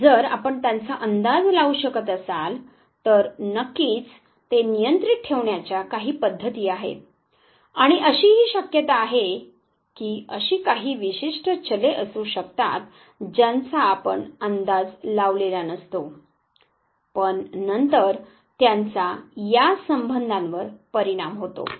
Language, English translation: Marathi, And if you can predict them of course there are methods of controlling them and there is also chance that there could be certain variables which you did not predict, but then does effect the relationship